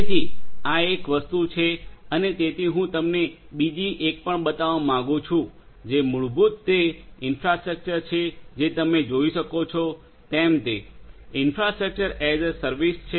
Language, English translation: Gujarati, So, this is one thing and so I would also like to show you another one which is so this basically you know this is a this one is basically the infrastructure that you are able to see; infrastructure IaaS